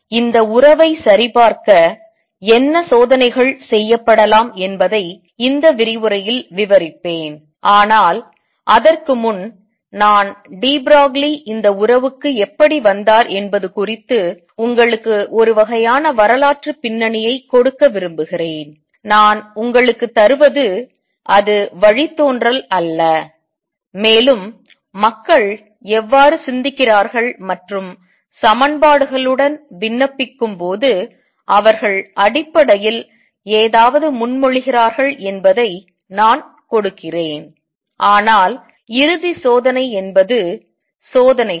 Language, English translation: Tamil, So, I will describe in this lecture what experiments can be performed to check this relationship, but before that I will just want to give you some sort of historical background has to how de Broglie arrived at this relationship, and I am just giving it is not a derivation it just that how people work how they think and propose something on the basis of they when they applying around with equations, but the ultimate check is experiments